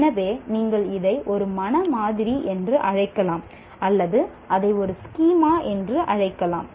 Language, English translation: Tamil, So it becomes, you can call it a mental model or you can call it a schema